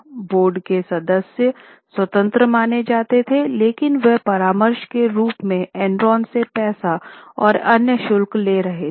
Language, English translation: Hindi, Board members are supposed to be independent but they were taking money from Enron in the form of consultancy and other fees